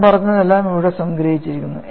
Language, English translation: Malayalam, And whatever I have said is summarized here